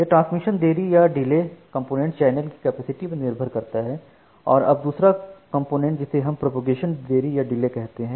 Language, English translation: Hindi, So, this transmission delay component depends on the capacity of the channel now the second component of the delay we call it as the Propagation Delay